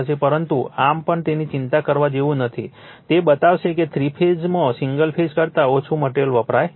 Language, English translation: Gujarati, But, anyway nothing to bother about that, we will show that three phase what you call takes less material material than the your single phase